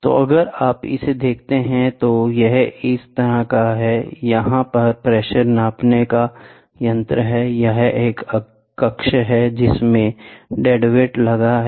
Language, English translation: Hindi, So, if you look at it this is like this so, here is a pressure gauge so, here is a chamber, a dead weight is there